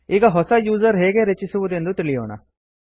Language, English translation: Kannada, Let us first learn how to create a new user